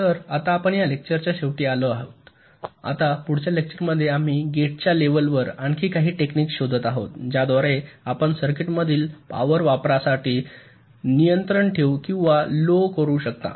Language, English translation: Marathi, now in the next lecture we shall be looking at some more techniques at the level of gates by which you can control or reduce the power consumption in the circuit